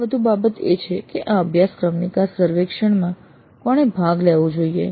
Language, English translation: Gujarati, And another issue is that who should participate in this course exit survey